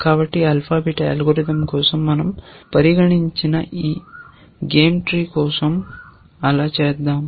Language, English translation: Telugu, So, let us do that for this game tree that we had considered for the alpha beta algorithm